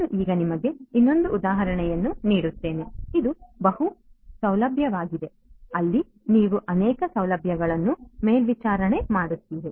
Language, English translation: Kannada, Let me now give you another example, this is the multi facility so, where you have multiple facilities being monitored right